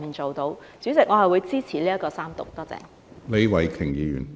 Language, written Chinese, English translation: Cantonese, 主席，我會支持三讀，多謝。, President I will support the Third Reading . Thank you